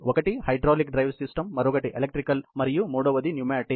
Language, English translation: Telugu, One is the hydraulic drive system and another is the electrical, and third is a pneumatic